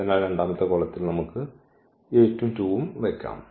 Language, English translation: Malayalam, So, we can place 8 and 2 in the second column